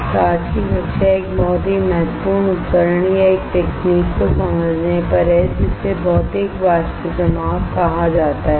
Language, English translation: Hindi, So, today's class is on understanding a very important equipment or a technique which is called Physical Vapour Deposition